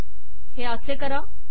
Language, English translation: Marathi, Do this as follows